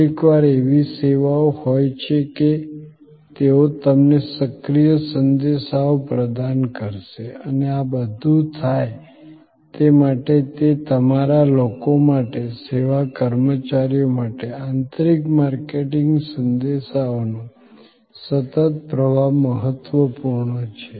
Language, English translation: Gujarati, Sometimes, there are services were they will provide you proactive messages and all these to make it happen, it is also important to internally to your people, the service personnel, a continuous flow of internal marketing messages